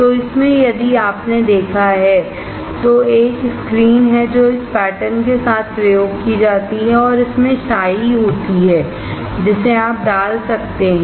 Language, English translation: Hindi, So, in this if you have seen, there is a screen that is used with this pattern and there is ink that you can put